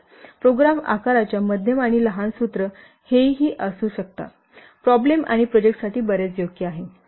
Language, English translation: Marathi, So, you can see this formula is very much suitable for the small and medium size problems or projects